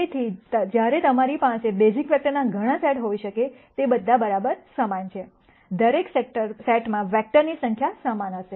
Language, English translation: Gujarati, So, while you could have many sets of basis vectors, all of them being equivalent, the number of vectors in each set will be the same